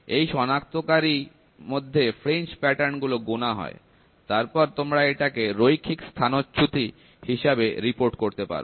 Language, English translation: Bengali, So, in this detector, the fringe patterns are counted, and you report it in linear displacement